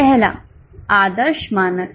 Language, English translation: Hindi, The first one is ideal standards